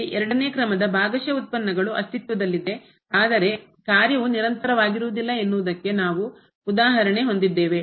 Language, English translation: Kannada, So now the next example it shows the existence of the second order partial derivative though the function is not continuous